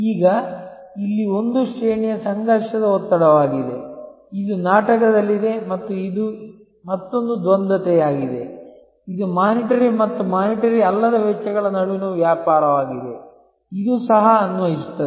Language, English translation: Kannada, Now, here this is one range of conflicting pressures, which are at play and this is another duality, this a trade of between monitory and non monitory costs, which is also apply